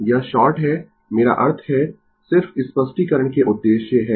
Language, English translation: Hindi, So, it is short I mean just for the purpose of explanation